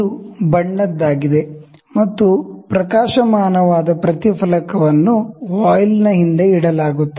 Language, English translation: Kannada, So, it is coloured and also a luminescent reflector is kept behind the voile